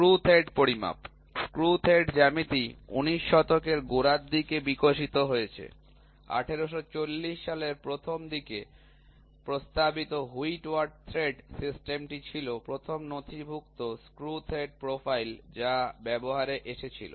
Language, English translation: Bengali, Measurement of Screw Threads; Screw thread geometry has evolved since the early 19th century, the Whitworth thread system, proposed as early as 1840, was the first documented screw thread profile that came into use